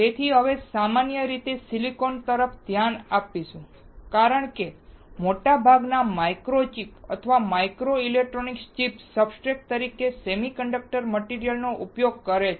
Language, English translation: Gujarati, So, now we will be looking at silicon in general because most of the micro chips or microelectronic chips uses semi conductor material as a substrate